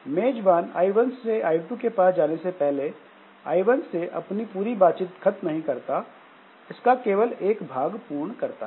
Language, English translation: Hindi, So, the host has not finished the full conversation with I1 before going to I2